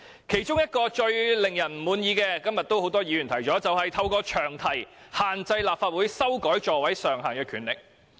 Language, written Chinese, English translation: Cantonese, 其中最令人不滿的做法，今天很多議員均有提到，便是利用詳題限制立法會修改座位上限的權力。, As many Members have pointed out today we are most dissatisfied with the Governments act of using the long title of the Bill to restrict the Legislative Council from exercising its power to amend the maximum seating capacity of light buses